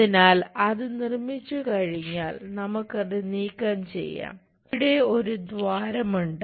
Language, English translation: Malayalam, So, once that is constructed, we can just remove that there is a hole here